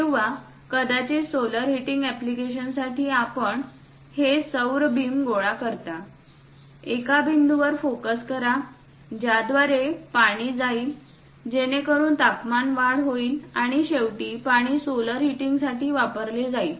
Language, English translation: Marathi, Or perhaps for solar heating applications, you collect these solar beams; focus on one point through which water will be passed, so that temperature will be increased and finally utilized for solar heating of water